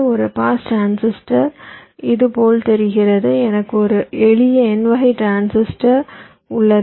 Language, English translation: Tamil, so a pass transistor looks like this: i have a simple n type transistor